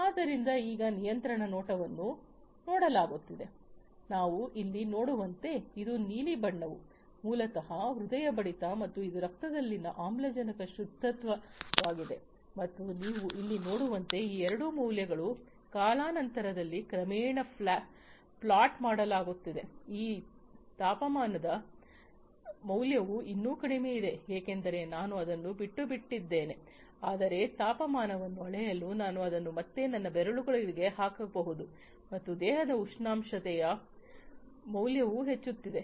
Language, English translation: Kannada, So, as we can see over here, this is the blue one is basically the heart rate and this is the oxygen saturation in the blood and as you can see over here these two values are gradually getting plotted over time, this temperature value is still low because you know I just left it out, but you know I could be again putting it on my finger for measuring the temperature and as you can see now that the temperature value the body temperature value is increasing right